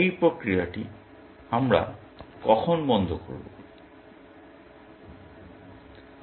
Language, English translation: Bengali, When do we terminate this process